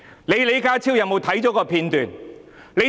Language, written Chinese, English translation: Cantonese, 李家超看過有關片段嗎？, Has John LEE watched the footage?